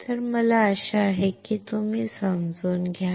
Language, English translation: Marathi, So, I hope that you understand